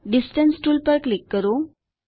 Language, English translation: Gujarati, Click on Distance tool